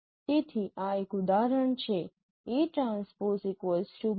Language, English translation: Gujarati, So this is one example